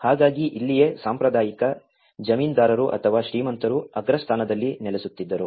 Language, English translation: Kannada, So, this is where the traditional, the landlords or the rich people who used to settle down on the top